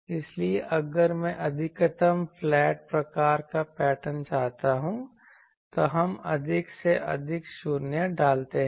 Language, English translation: Hindi, So, there if I want a maximally flat type of pattern, then we put more and more zeros